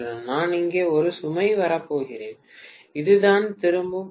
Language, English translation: Tamil, And I am going to have a load coming up here, and this is what is the return path